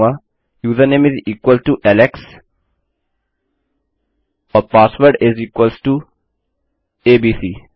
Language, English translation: Hindi, Ill say username is equal to alex and my password is equal to abc